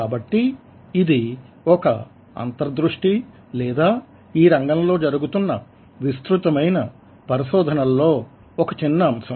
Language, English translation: Telugu, so this is just an insight, just a fragment of ah huge amount of research which is going on in the field